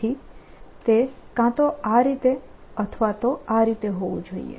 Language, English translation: Gujarati, so it has to be either this way or this way